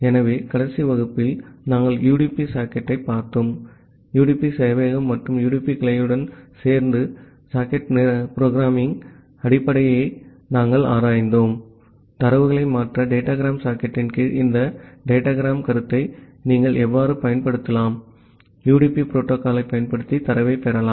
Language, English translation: Tamil, So, in the last class we have looked into the UDP socket, we have looked into the basic of socket programming along with the UDP server and the UDP client in details that how you can use this concept of soc datagram under datagram socket to transfer data receive data using UDP protocol